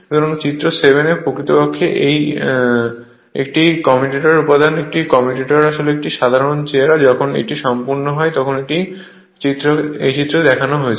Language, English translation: Bengali, So, figure 7 actually components of a commutators is a general appearance of a commutator when completed it is showing here right this figure